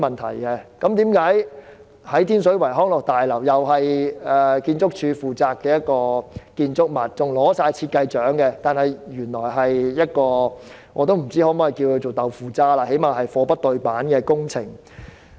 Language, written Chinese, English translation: Cantonese, 天水圍康樂大樓是建築署負責的建築物，更奪得設計獎，但原來是一項"豆腐渣"工程，我不知可否這樣說，但這最低限度是"貨不對辦"的工程。, ArchSD is in charge of the project of the Leisure and Cultural Building at Tin Shui Wai and the building has won a design award . Unfortunately it is a tofu - dreg project . I am not sure if I can say so yet it is at least kind of shoddy works